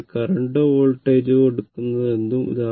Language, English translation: Malayalam, So, whereas current or voltage whatever it is take